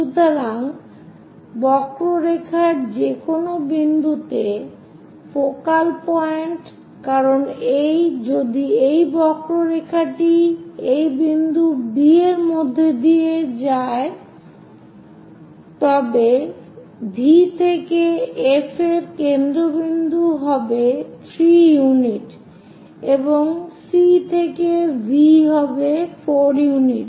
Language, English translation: Bengali, So, focal point to any point on the curve, because if this curve pass through this point B somewhere here the focal point V to F will be 3 units and C to V will be 7 unit4 units